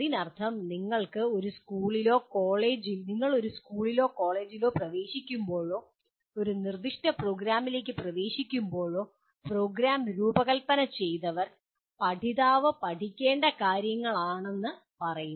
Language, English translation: Malayalam, That means whenever you enter a school or a college or enter into a specific program, there is whoever has designed the program will say these are the things that the learner has to learn